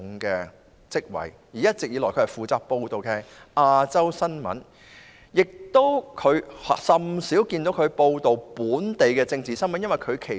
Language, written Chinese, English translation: Cantonese, 他一直以來負責報道亞洲新聞，甚少報道本港政治新聞。, He has all along been responsible for covering Asia news; rarely has he covered political news in Hong Kong